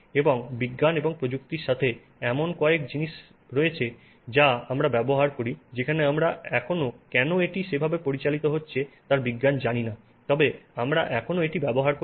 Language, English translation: Bengali, Many times there are things that we use where we don't yet know the science of why it is operating that way but we still use it